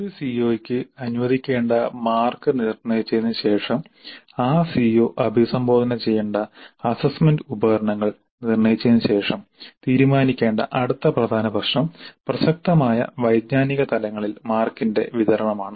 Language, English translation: Malayalam, The next important aspect that is after determining the marks to be allocated to a CO and after determining the assessment instruments over which that CO is to be addressed, the next major issue to be decided is the distribution of marks over relevant cognitive levels